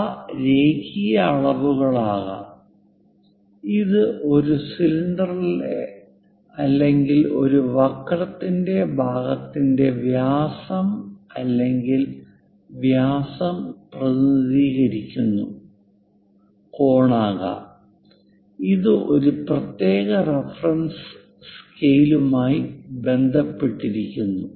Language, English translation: Malayalam, They can be linear dimensions, it can be angular perhaps representing radius or diameter of a cylinder or part of a curve and with respect to certain reference scale